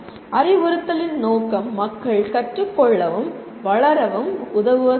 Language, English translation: Tamil, Purpose of instruction is to help people learn and develop